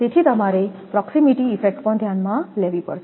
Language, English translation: Gujarati, So, proximity effect also you have to consider